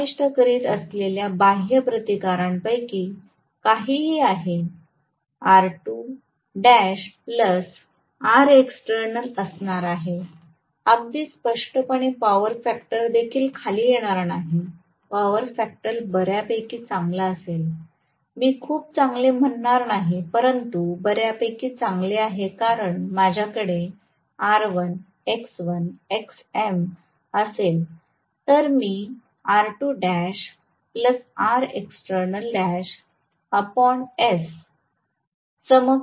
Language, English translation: Marathi, I am going to have R2 dash plus R external whatever is the external resistance that I am including right, and obviously power factor will also not come down, power factor will be fairly good, I would not say very good, but fairly good because I am going to have this recall the equivalent circuit I will have R1, x1, xm then I am going to have R2 dash plus R external dash